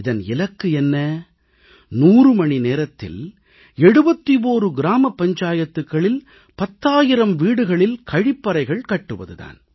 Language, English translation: Tamil, To construct 10,000 household toilets in 71 gram panchayats in those hundred hours